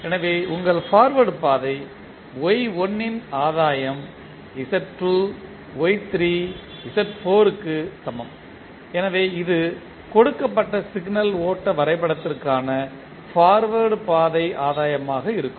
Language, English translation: Tamil, So, your forward path gain is equal to take Y1 then Z2 Y3 Z4 so this will be the forward path gain for the signal flow graph given